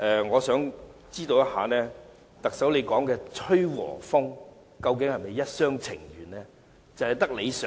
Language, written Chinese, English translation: Cantonese, 我想請問特首所謂的"吹和風"，究竟是否一廂情願，只是你自己想這樣呢？, May I ask the Chief Executive whether the so - called wind of harmony is merely her wishful thinking?